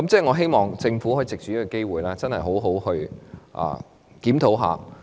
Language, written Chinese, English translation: Cantonese, 我希望藉着這個機會，促請政府好好檢討。, I wish to take this opportunity to urge the Government for a due review